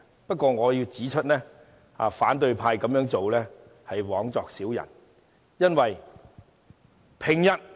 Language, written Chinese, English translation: Cantonese, 不過，我要指出，反對派這樣做是枉作小人。, However I must point out that opposition Members are making vain efforts